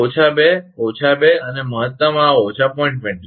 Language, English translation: Gujarati, So, minus 2, minus 2 and maximum this is minus 0